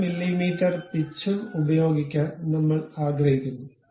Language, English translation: Malayalam, 5 mm pitch we can use